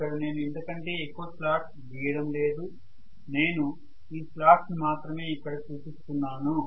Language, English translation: Telugu, I am not drawing many slots other than this, this is all is the slot I am showing